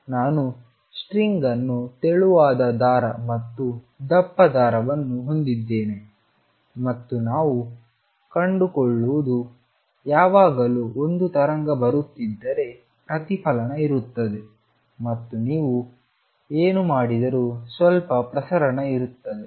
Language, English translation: Kannada, Suppose, I have a string a thin string and a thick string and what we find is; if there is a wave coming in always there will be a reflection and there will be some transmission no matter what you do